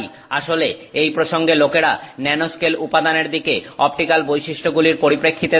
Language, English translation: Bengali, And in fact it is in this context that people look at the nanoscale materials from the perspective of optical properties